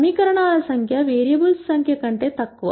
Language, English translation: Telugu, The number of equations are less than the number of variables